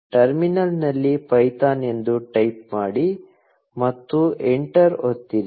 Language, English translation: Kannada, Type python in the terminal and press enter